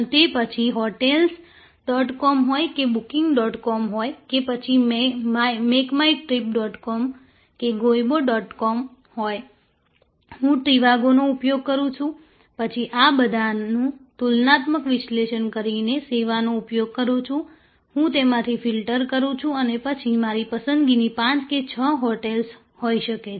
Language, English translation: Gujarati, So, be it hotels dot com or booking dot com or make my trip dot com or goibbo dot com, I use trivago, I use the comparative services, I use the filters and then, come to may be 5 or 6 hotels of my choice